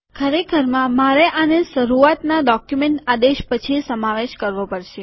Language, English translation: Gujarati, Actually I will have to include this after the begin document command